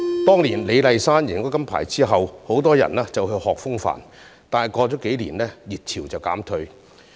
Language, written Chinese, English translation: Cantonese, 當年李麗珊贏得金牌後，很多人學習風帆，但過了幾年，熱潮便告減退。, Many people flocked to learn windsurfing after LEE Lai - shan had won the gold medal but the craze soon subsided a few years later